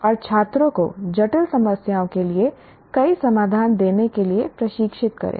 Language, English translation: Hindi, And train students to give multiple solutions to given complex problems